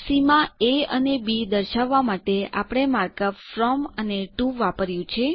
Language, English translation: Gujarati, To specify the limits a and b, we have used the mark up from and to